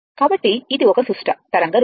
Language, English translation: Telugu, So, this is symmetrical wave form